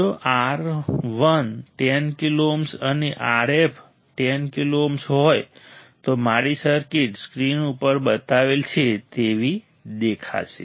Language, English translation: Gujarati, If R I = 10 kilo ohms right and R f is also = 10 kilo ohms, then my circuit will look like the one I have shown on the screen, is not it